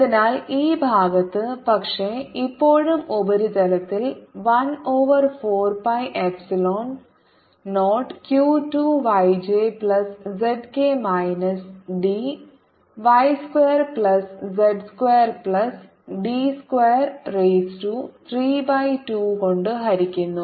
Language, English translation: Malayalam, so on this side, but still on the surface, is going to be one over four, pi epsilon zero, q two, y j plus z k minus d i, divided by y square plus z square plus d square raise to three by two